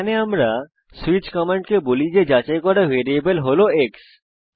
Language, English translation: Bengali, Here, we tell the switch command that the variable to be checked is x